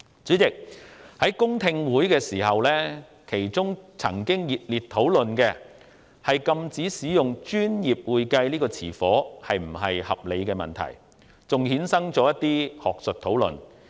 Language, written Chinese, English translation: Cantonese, 主席，在公聽會上，與會者曾熱烈討論禁止使用"專業會計"這個稱謂是否合理的問題，其後更衍生出一連串學術討論。, President during the public hearing there were heated discussions on whether it was reasonable to prohibit the use of the description professional accounting consequently leading to a series of academic discussions